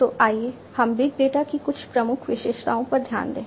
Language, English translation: Hindi, So, let us look at some of the key attributes of big data